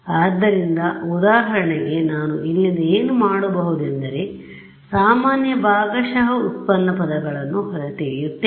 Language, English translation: Kannada, So, for example so, what I can do from here is extract out the common partial derivative terms ok